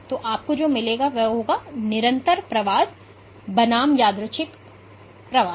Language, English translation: Hindi, So, what you would get is persistent migration versus random migration